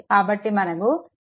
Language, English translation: Telugu, Then i will be 0